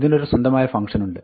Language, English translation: Malayalam, There is a built in function for this as well